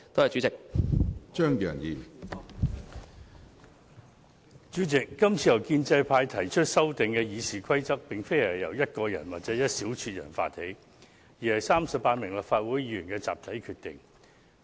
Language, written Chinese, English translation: Cantonese, 主席，這次建制派議員提出修訂《議事規則》之舉，並非由單獨一人或一小撮人發起，而是經由38名立法會議員作出的集體決定。, President the current exercise of amending the Rules of Procedure RoP initiated by the pro - establishment camp is based on the collective decision made by 38 Members of this Council instead of one single person or a handful of people only